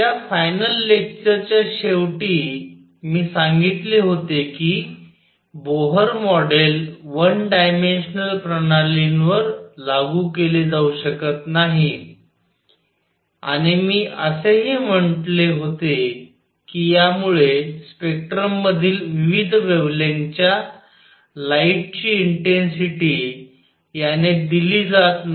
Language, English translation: Marathi, At the end of that, the final lecture I had said that Bohr model cannot be applied to one dimensional systems and also I had said that it did not give the intensities of various wavelengths light in the spectrum